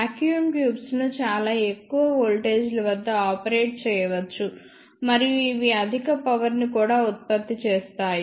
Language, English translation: Telugu, The vacuum tubes can be operated at very high voltages